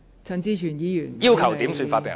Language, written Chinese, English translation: Cantonese, 陳志全議員要求點算法定人數。, Mr CHAN Chi - chuen has requested a headcount